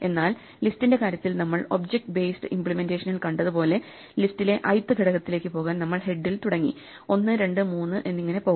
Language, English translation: Malayalam, Whereas in a list, as we saw even in our object based implementation to get to the ith element we have to start with the head and go to the first, second, third, so it takes time proportional to the position